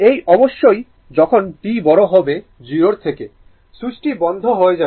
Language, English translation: Bengali, That is of course, t greater than 0 after switching switch is closed, right